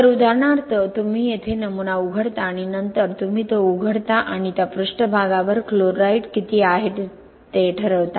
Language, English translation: Marathi, So for example you open the specimen right here and then you open it and determine how much is the chloride at that surface